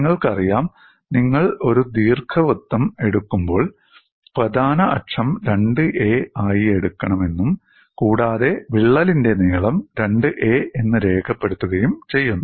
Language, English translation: Malayalam, You know when you take an ellipse you take the major axis as 2 a, and you also label the crack length as 2 b